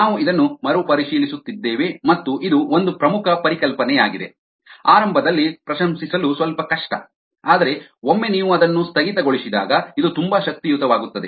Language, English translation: Kannada, we are revisiting this is an important concept, little difficult appreciate in the beginning, but once you get the hang of it this becomes very powerful